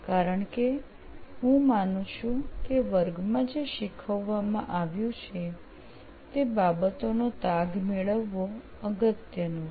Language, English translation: Gujarati, Because I think that it is important to get a track of things like what has been taught in the class